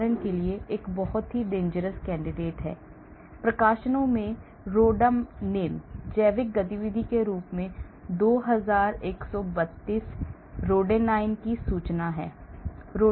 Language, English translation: Hindi, For example, this is a very, very dangerous candidate; rhodanine; there are 2132 rhodanines reported as having biological activity in huge number of publications